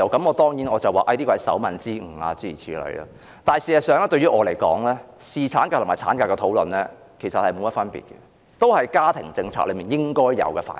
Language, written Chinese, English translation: Cantonese, 我當然答說這是手民之誤，但事實上對我來說，侍產假與產假的討論並無分別，均屬家庭政策的應有範疇。, I of course replied that it was just a typographical error but as a matter of fact the discussions on paternity leave and maternity leave make no difference to me and both should fall within the scope of family policy